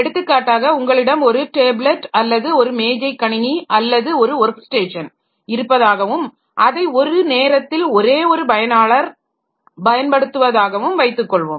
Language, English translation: Tamil, For example, if you have got a tablet, if you have got a desktop PC or a workstation where a single user is working at a time